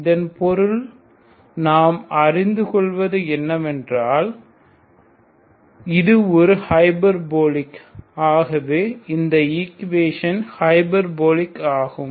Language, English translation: Tamil, So that means what we learned is it is hyperbolic equation, so equation is hyperbolic